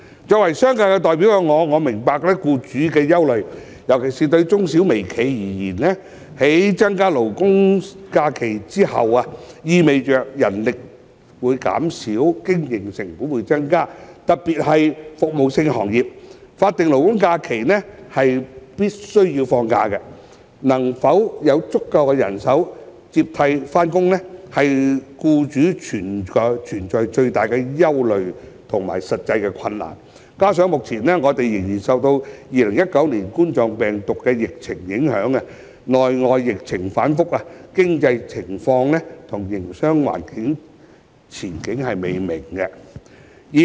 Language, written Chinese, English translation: Cantonese, 作為商界代表，我明白僱主的憂慮，尤其對中小微企而言，在增加勞工假期後，意味人力將會減少，營運成本亦會增加，特別是服務性行業，僱員在法定勞工假期必須放假，能否有足夠人手接替上班，是僱主面對的最大憂慮和實際困難；加上目前我們仍受2019冠狀病毒病疫情影響，內外疫情反覆，經濟情況與營商環境前景未明。, The increase in labour holidays will put a strain on manpower and raise operating costs particularly in the service sector . Given the requirement to grant employees leave on SHs employers are most concerned about the operational difficulty of hiring adequate substitute workers . What is more under the influence of the current COVID - 19 epidemic the domestic and international epidemic situations have been fluid creating uncertainty for the economic situation and business environment